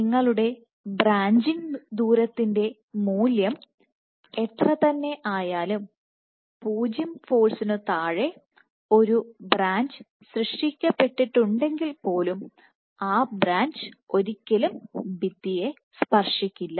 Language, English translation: Malayalam, So, even if you whatever your value of branching distance under 0 force even if you have a branch getting created, the branch will never get in touch with the wall ok